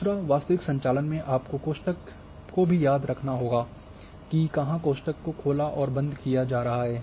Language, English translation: Hindi, Secondly, in real operations one has to also remember the bracket, where the brackets is getting opened and closed